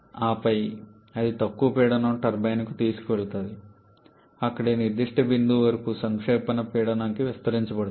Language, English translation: Telugu, And then it is taken to the low pressure turbine where it is expanded to the condensation pressure up to this particular point